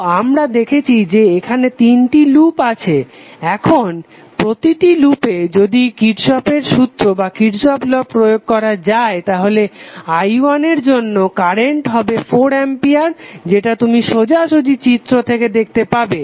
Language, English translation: Bengali, So we see there are 3 loops now for each loop if we apply the kirchhoff's law then for i1 the current would be 4 ampere which is straight away you can see from the figure